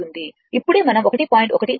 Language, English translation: Telugu, It will be 1